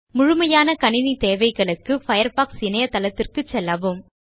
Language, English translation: Tamil, For complete information on System requirements, visit the Firefox website shown on the screen